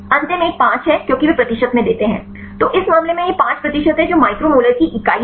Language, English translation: Hindi, The last one is 5 because they give in percentage; so in this case it is 5 percentage this is the unit of the micro molar